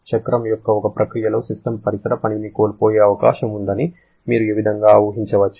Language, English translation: Telugu, You can visualize this way that during one process of the cycle, the system may be losing some surrounding work